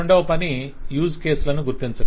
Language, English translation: Telugu, Second is identifying use cases